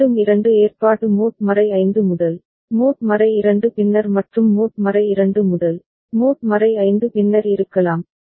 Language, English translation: Tamil, And again there could be two arrangement mod 5 first, mod 2 later and mod 2 first, mod 5 later